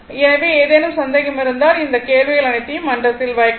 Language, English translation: Tamil, So, if you have any doubt you can put all that questions in the forum I will give you the answer right